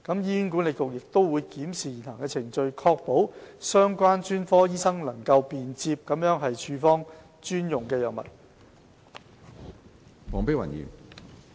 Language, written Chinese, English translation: Cantonese, 醫管局會檢視現行程序，以確保相關專科醫生能便捷地處方專用藥物。, HA also reviews the prevailing procedures in accordance with the established mechanism to facilitate prescription of special drugs by the specialists concerned